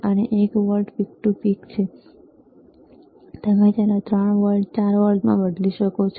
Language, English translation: Gujarati, iIt is one volt peak to peak, you can change it to another see 3 volts, 4 volts